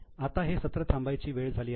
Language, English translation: Marathi, So, now the time for this session is up